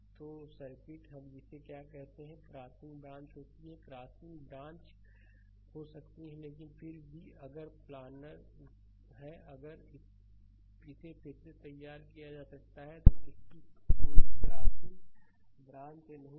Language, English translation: Hindi, So, circuit your what you call we have crossing branches, may have crossing branches, but still if planar if it can be redrawn such that, it has no crossing branches